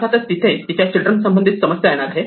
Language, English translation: Marathi, Obviously, there is going to be some problem with respect to itÕs children